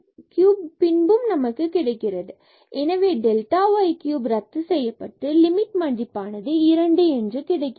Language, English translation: Tamil, So, this delta y cube will get cancel and we will get this limit as 2